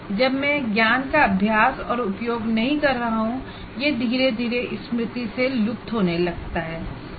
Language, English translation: Hindi, When I am not using that knowledge or practicing, it will slowly start fading from the memory